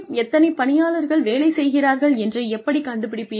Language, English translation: Tamil, How will you find out, how much the employee has done